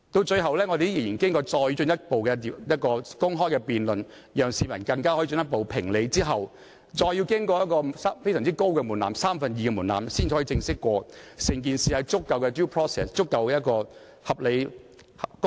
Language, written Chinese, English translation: Cantonese, 最後，本會仍然要進行進一步的公開辯論，讓市民進一步評理，更要經過非常高的門檻才可正式通過，即獲得三分之二議員通過。, Eventually an open debate has to be conducted by this Council to allow the public to assess the case again . Besides an extremely high threshold is set for the official passage of the relevant motion that is it should be passed by a two - thirds majority of Members of this Council